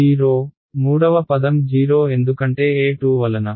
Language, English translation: Telugu, 0, third term 0 right because E z